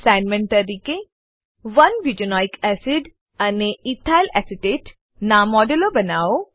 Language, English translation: Gujarati, As an assignment * Create models of 1 butanoic acid and ethylacetate